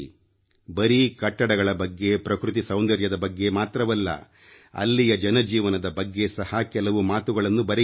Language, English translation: Kannada, Write not only about architecture or natural beauty but write something about their daily life too